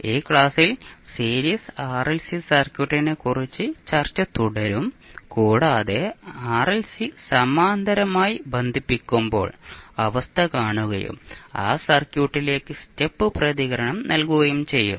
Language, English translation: Malayalam, In this class we will continue a discussion on Series RLC Circuit and we will also see the condition when your RLC are connected in parallel and then you provide the step response to that circuit